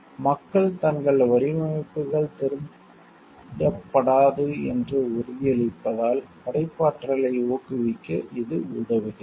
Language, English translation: Tamil, It helps to promote creativity as people feel assured that their designs will not be stole